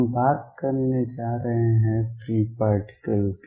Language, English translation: Hindi, We are going to now change and talk about free particles